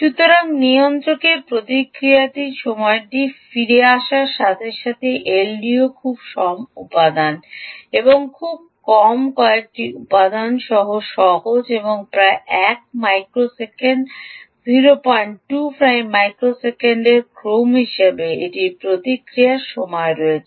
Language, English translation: Bengali, so, coming back, the response time of the regulator, the l d o is simple, with very few components and ah, very few components, and has response times of the order of point two, five microseconds to roughly one microsecond it can be as